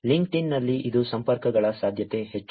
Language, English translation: Kannada, In LinkedIn it is more likely connections